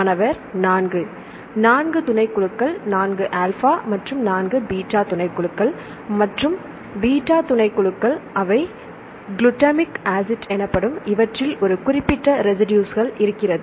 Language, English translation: Tamil, 4 subunits 2 alpha subunits and 2 beta subunits and the b subunits they contain a specific residue called the glutamic acid right